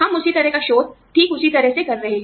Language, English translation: Hindi, We are doing, the same kind of research, in the exact same manner